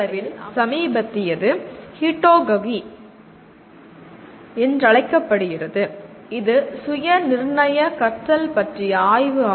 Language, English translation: Tamil, Now, relatively recent one it is called “Heutagogy”, is the study of self determined learning